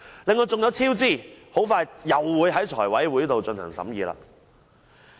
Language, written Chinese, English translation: Cantonese, 另外還有工程超支，很快會在財務委員會進行審議。, There are also project overruns that will soon be considered by the Finance Committee FC